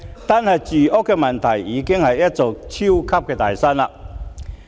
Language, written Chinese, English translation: Cantonese, 單是住屋問題，已經是一座"超級大山"。, Merely the housing problem is a super big mountain